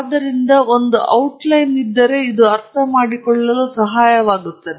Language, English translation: Kannada, So, an outline helps them understand that